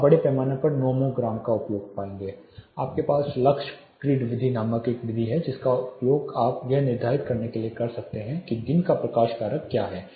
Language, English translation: Hindi, You will find the use of nomograms extensively you have you know method called lux grid method which you can use to determine what is a daylight factor